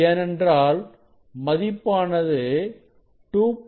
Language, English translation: Tamil, that is because of that factor 2